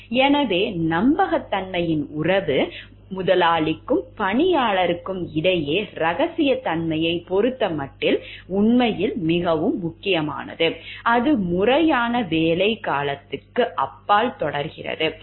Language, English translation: Tamil, Thus the relationship of trust is actually very important over here between the employer and employee in regard to confidentiality, it continues beyond the formal period of employment